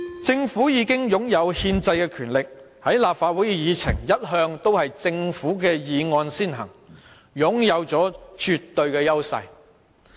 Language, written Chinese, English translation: Cantonese, 政府已經擁有憲制的權力，立法會的議程一向都是政府的議案先行，已是擁有絕對的優勢。, The Government already has the constitutional powers . Government motions are always placed on top position on the agenda of the Legislative Council implying an absolute advantage